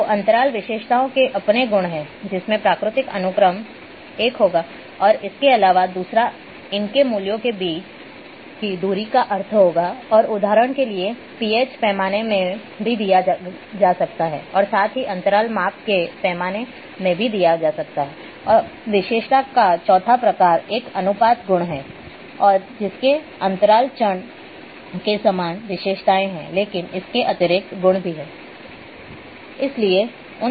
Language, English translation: Hindi, So, there is a the interval attribute will have natural sequence one and in addition it will have the distance between values will have the meaning and example is also given here for the PH scale as well that is also an interval scale now the forth type of attribute is a ratio attributes and that have the same characteristics as interval variables, but in addition